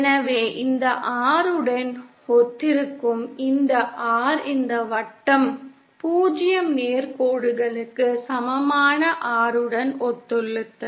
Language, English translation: Tamil, So then this R that corresponds this R this circle corresponds to the R equal to 0 straight line